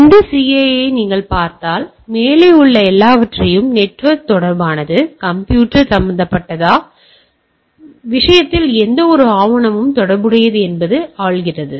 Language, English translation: Tamil, So, if you see this CIA, primarily rules the all above things whether it is network related, whether it is computer related, for that matter any type of document related